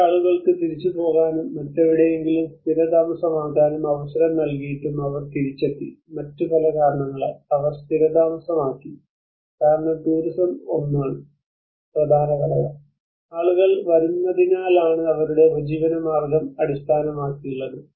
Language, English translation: Malayalam, And despite of these people given an opportunity to go back and settled somewhere else, they came back and they settled because of various other reasons because tourism is one of the important component, people come so that is where their livelihood is based on